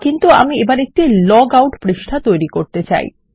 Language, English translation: Bengali, But now I want to create a log out page